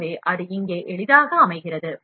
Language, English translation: Tamil, So, that it sets easily here